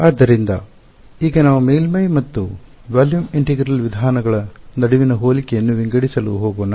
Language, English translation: Kannada, So, now let us go to sort of a comparison between the Surface and Volume Integral approaches right